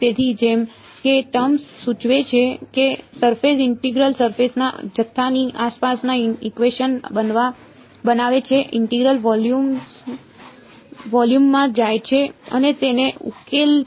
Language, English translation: Gujarati, So, as the word suggests surface integral formulates the equations around the surface volume integral goes into the volume and solves it